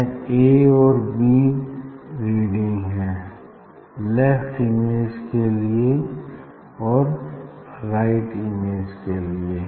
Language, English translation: Hindi, that is reading a and b for position of the left image and right image